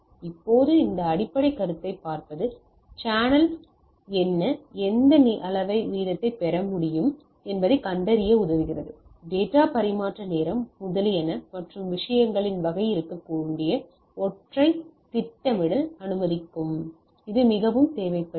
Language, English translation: Tamil, Now see our this basic consideration helps us in finding the what could be my channel capacity, what amount of rate we can get, this may allow me to plan something that what should be the data transmission time etcetera and type of things right that, which is very much needed for different consideration